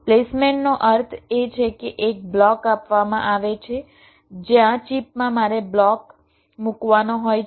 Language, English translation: Gujarati, placement means given a block where in the chip i have to place the block